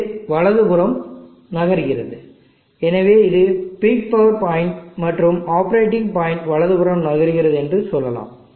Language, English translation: Tamil, It is moving to the right, so let us say this is the peak power point and the operating point is moving to the right